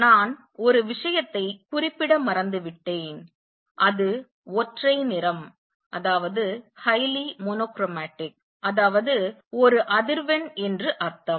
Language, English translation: Tamil, And also one thing I have forgot to mention is highly mono chromatic that means, one frequency